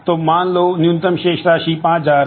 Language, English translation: Hindi, So, minimum balance is 5,000